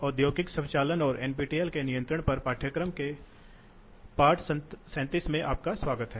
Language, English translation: Hindi, Welcome to lesson of industrial automation and control